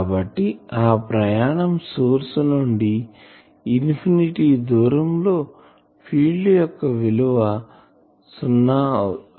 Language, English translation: Telugu, So, at a infinite distance from the source the value of the field should go to zero